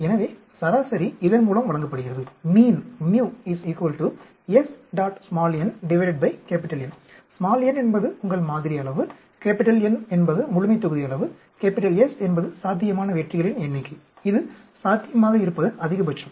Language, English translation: Tamil, So, the mean is given by mu into S n by N, n is your sample size, N is a population size, S is the possible number of successes, that is maximum that is possible